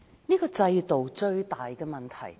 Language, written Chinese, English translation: Cantonese, 這個制度最大的問題在哪裏？, What is the biggest problem of the OWPs system?